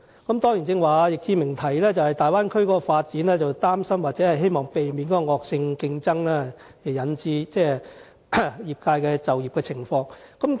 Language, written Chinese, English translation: Cantonese, 易志明議員剛才表示，他擔心大灣區的發展會帶來惡性競爭，影響業界的就業情況，希望可以避免。, Earlier on Mr Frankie YICK expressed his worry that the vicious competition brought about by the development of the Bay Area may affect the employment situation in the industry and he hoped that this might be avoided